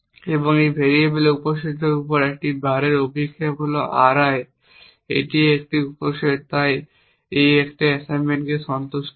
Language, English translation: Bengali, And this is projection of a bar onto the subset of variable is a subset of R i so an assignment satisfies